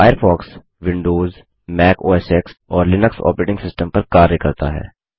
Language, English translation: Hindi, Firefox works on Windows, Mac OSX, and Linux Operating Systems